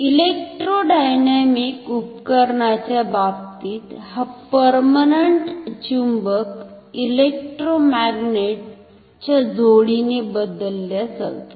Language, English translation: Marathi, In case of electrodynamic instrument, this permanent magnet is replaced by a pair of electromagnets